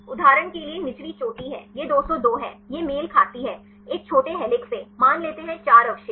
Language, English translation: Hindi, The lower peak for example, this is 202 it corresponds a shorter helix say 4 residues